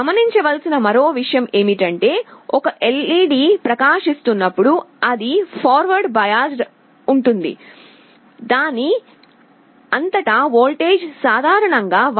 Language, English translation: Telugu, The other point to note is that, when an LED is glowing it is forward biased, the voltage across it is typically 1